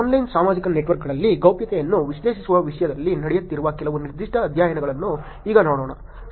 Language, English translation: Kannada, Now let us look at some specific studies that are being done in terms of analyzing the privacy in online social networks